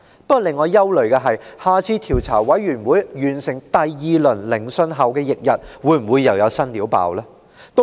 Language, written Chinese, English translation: Cantonese, 不過，令我感到憂慮的是，調查委員會完成第二輪聆訊後翌日，會否又有新醜聞曝光？, What worries me though is whether a fresh scandal will break out on the day after the Commission has completed the second round of hearings?